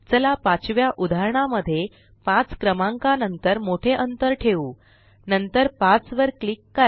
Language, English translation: Marathi, Let us introduce a long gap in the fifth example, after the number 5 .Click after 5